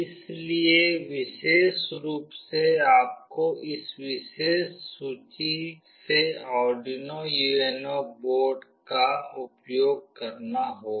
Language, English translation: Hindi, So, specifically you have to use the Arduino UNO board from this particular list